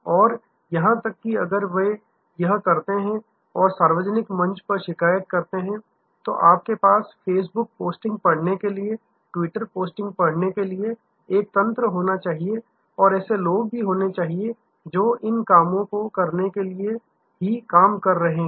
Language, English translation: Hindi, And even if they do and go complain on the public forum, you should have a mechanism to read the facebook postings, to read the twitter postings and there should be people, who are task to do these things